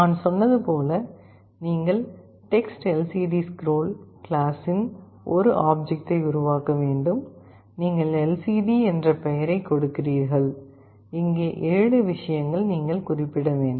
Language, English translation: Tamil, As I told, you have to create an object of type TextLCDScroll, you give a name lcd, and these are the 7 things you specify